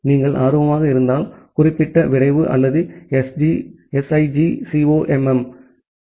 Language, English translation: Tamil, If you are interested you can look into the specific draft or the SIGCOMM 2017 paper